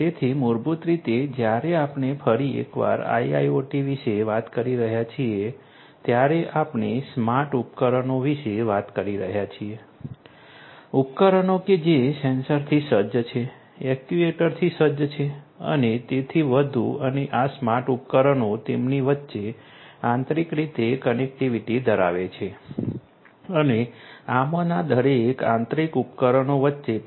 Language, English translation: Gujarati, So, basically when we are talking about IIoT once again we are talking about smart devices, devices which are sensor equipped, actuator equipped and so on and these smart devices have connectivity between them internally and also between each of these internal each of these devices in that internal network to the external world